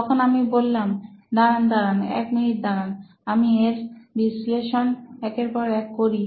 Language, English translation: Bengali, So I said, wait wait wait wait wait a minute, let’s analyse it one by one